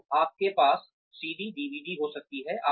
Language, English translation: Hindi, So, you could have CD